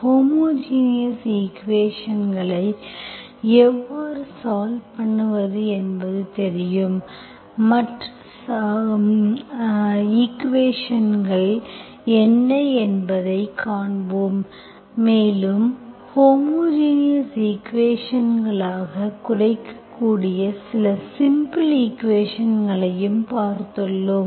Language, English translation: Tamil, you know how to solve homogeneous equations, we will see what are the other equations and also you have seen some simple equations that can be reduced to homogeneous equations